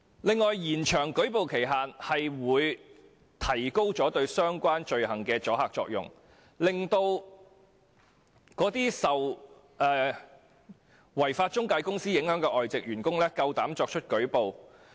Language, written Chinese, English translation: Cantonese, 此外，延長舉報期限會提高對相關罪行的阻嚇作用，令這些受違法中介公司影響的外籍員工敢於舉報。, Moreover an extension of the time limit for making a report will enhance the deterrence against such offences thereby encouraging those expatriate employees affected by lawbreaking intermediaries to make a report